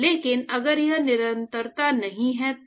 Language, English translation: Hindi, But if it if it is not continuous right